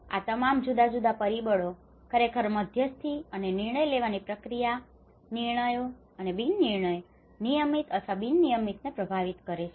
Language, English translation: Gujarati, And these, these all different factors actually mediate and influence the decision making process, decisions or non decisions, routine or non routine